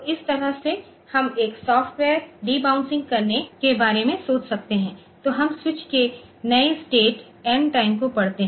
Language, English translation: Hindi, So, this way we can think about doing a software debouncing, so we read the new state of the switch n time